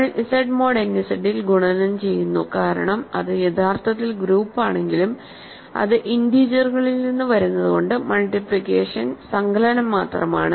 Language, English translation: Malayalam, So, we are implicitly using the multiplication in Z mod n Z right because though its actually group, but because its coming from integers multiplication is actually just addition